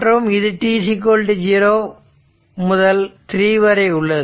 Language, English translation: Tamil, And this is this point is minus t 0 plus 1